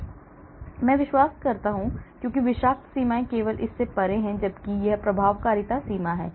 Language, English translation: Hindi, the toxic limit is only beyond this, whereas this is the efficacy limit